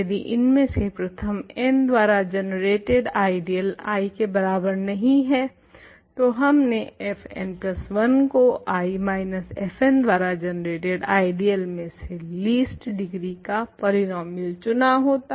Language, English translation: Hindi, If, the ideal generated by the first n of them is not equal to I we would have chosen f n plus 1 to be a polynomial of least degree among all elements of I minus the ideal generated by f n ok